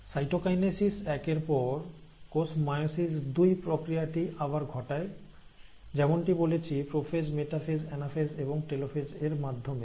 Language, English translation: Bengali, Now, after cytokinesis one, the cell then undergoes the process of meiosis two, and meiosis two again, as I said, contains prophase, metaphase, anaphase and telophase